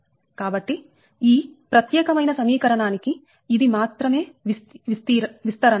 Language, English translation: Telugu, so this is only the expansion of this, of this particular equation, right